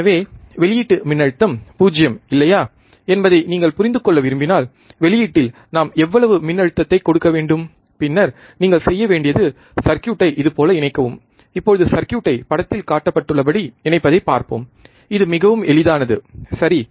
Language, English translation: Tamil, So, if you want to understand whether output voltage is 0 or not, and how much voltage we have to give at the output, then you have to do you have to connect the circuit, like this, now let us see the connect the circuit as shown in figure it is very easy, right